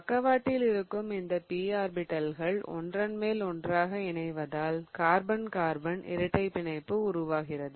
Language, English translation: Tamil, Okay, so now there is this sideways overlap of p orbitals and they're going to kind of overlap such that you have a carbon carbon double bond form